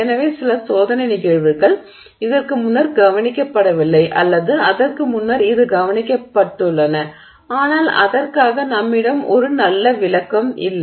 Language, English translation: Tamil, So, some experimental phenomena that has not been either not been observed before or it has been observed before but for which we don't have a good explanation